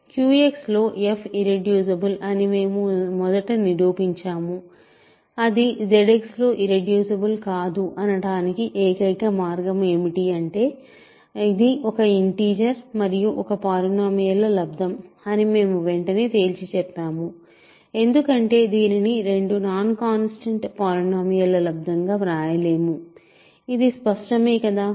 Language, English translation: Telugu, So, we first proved that f is irreducible in Q X, then we immediately conclude that the only way that it is a not irreducible in Z X is that it is an integer times a polynomial because it cannot be written as a product of two non constant polynomials that is clear